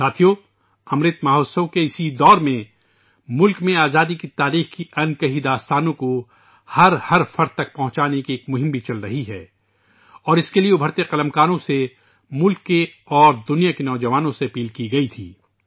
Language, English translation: Urdu, in this period of Amrit Mahotsav, a campaign to disseminate to everyone the untold stories of the history of freedom is also going on… and for this, upcoming writers, youth of the country and the world were called upon